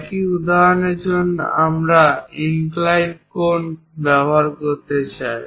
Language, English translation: Bengali, For the same example, if I would like to use inclined angles